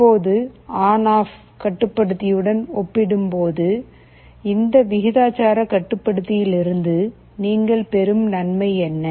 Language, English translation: Tamil, Now what is the advantage you are getting out of this proportional controller as compared to the on off controller